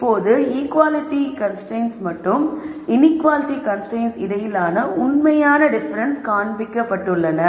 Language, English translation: Tamil, Now this real di erences between the equality constraint condition and the inequality constrained situation shows up